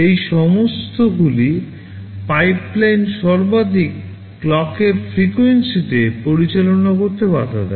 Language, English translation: Bengali, All of these prevent the pipeline from operating at the maximum clock frequency